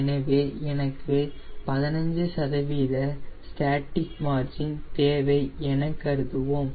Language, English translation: Tamil, so lets assume i want a static margin of fifteen percent